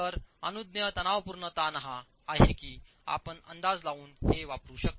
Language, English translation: Marathi, So permissible tensile stress is you can make an estimate and use this